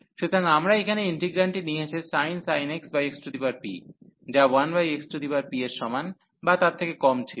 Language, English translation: Bengali, So, we have taken the integrant here that the the sin x over x power p, which was less than equal to 1 over x power p